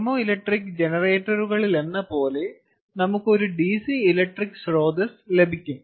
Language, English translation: Malayalam, ok, it will be a dc voltage, like in thermoelectric generators, we are going to give rise to a dc electric source